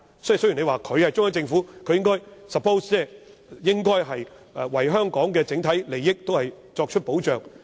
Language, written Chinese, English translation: Cantonese, 雖然你說，作為中央政府是應該為香港整體利益作出保障。, Perhaps you may say it is incumbent upon the Central Government to safeguard the overall interests of Hong Kong